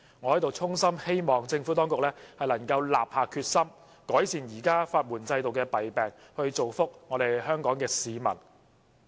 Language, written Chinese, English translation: Cantonese, 我在此衷心希望政府當局能立下決心，改善現時法援制度的弊病，造福香港市民。, I sincerely hope that the Administration has the determination to improve the shortcomings of the existing legal aid system thereby bringing benefit to the people in Hong Kong